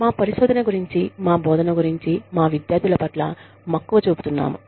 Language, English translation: Telugu, We are passionate, about our students, about our teaching, about our research